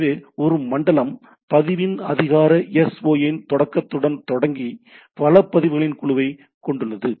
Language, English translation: Tamil, So, a zone consists of a group of resource record beginning with a start of authority SOA of the record